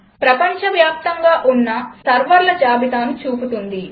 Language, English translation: Telugu, shows a list of servers across the globe